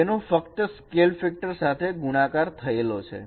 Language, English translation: Gujarati, It is just multiplied by scale factor